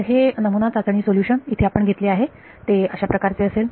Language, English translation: Marathi, So, the trial solution we are going to take something like this